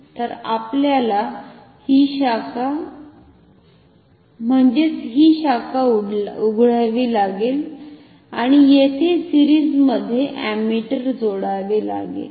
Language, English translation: Marathi, So, we have to open this branch and insert ammeter here in series